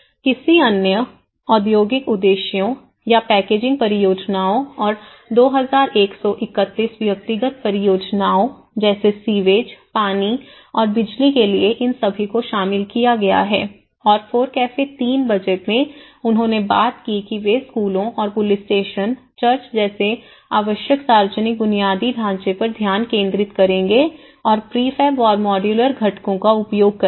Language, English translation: Hindi, Or any other industrial purposes or packaging purposes and 2,131 individual projects of infrastructures for like sewage, water and electricity so all these have been incorporated and in the FORECAFE 3 budget they talked they focused on the schools and the essential public infrastructure like police stations, churches and using the prefab and modular components